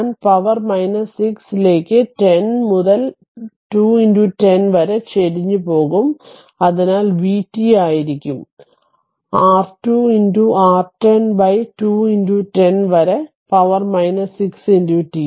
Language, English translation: Malayalam, So, i will slope is 10 by 2 into 10 to the power minus 6, so v t will be is equal to your 2 into your 10 by 2 into 10 to the power minus 6 into t